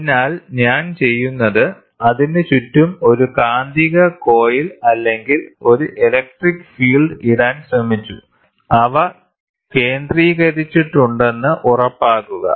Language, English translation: Malayalam, So, what I do is, I tried to put a magnetic coil around it or an electric field, and make sure that they are focused